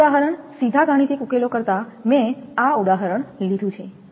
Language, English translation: Gujarati, This example rather than mathematical derivation directly I have taken this example